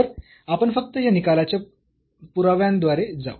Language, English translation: Marathi, So, we will just go through the proof of this result